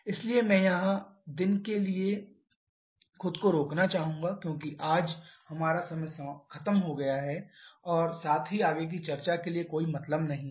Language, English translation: Hindi, So I would like to stop here itself for the day because today we are we have ran out of time and also there is no point going for any further discussion